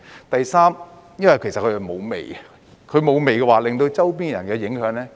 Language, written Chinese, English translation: Cantonese, 第三，它是沒有味道的，這樣便會減少對周邊的人的影響。, Third they do not give off any odour which will reduce the impact on the people nearby